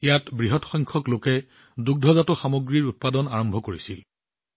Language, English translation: Assamese, A large number of people started dairy farming here